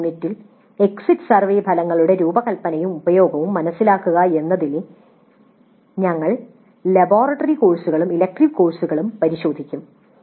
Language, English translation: Malayalam, So in the next unit we look at the under design and use of exit survey for laboratory courses and elective courses